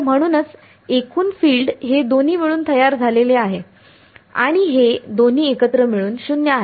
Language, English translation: Marathi, So, that is why the total field is composed of both of these and both of these together as 0